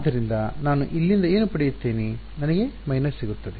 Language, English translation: Kannada, So, what will I get from here I will get a minus